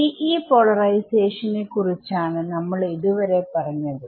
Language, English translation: Malayalam, So, far we spoke about TE polarization